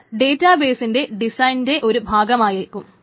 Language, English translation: Malayalam, It should be part of the database design itself